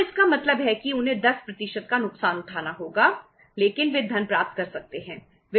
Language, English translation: Hindi, So it means they have to lose 10% but they could get the funds